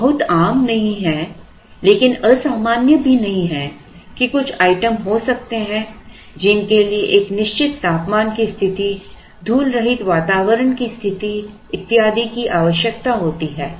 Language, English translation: Hindi, These are not very common, but not uncommon either that there could be some items which require a certain temperature conditions, dust proof conditions and so on